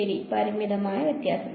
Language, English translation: Malayalam, Right, finite difference